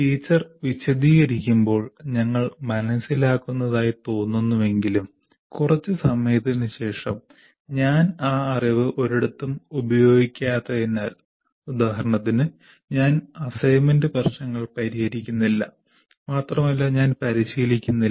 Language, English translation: Malayalam, While we seem to be understanding when the teacher explains, but after some time because I am not using that knowledge anywhere, like for example I am not solving assignment problems